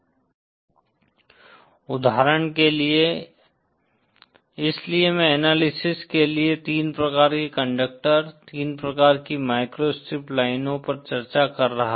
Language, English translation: Hindi, For example, so I was discussing the three types of conductor, three types of microstrip lines for analysis